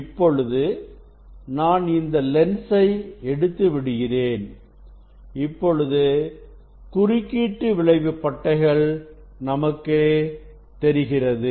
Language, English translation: Tamil, Now, I will remove the lens I will remove the lens I will remove the lens this interference fringe is formed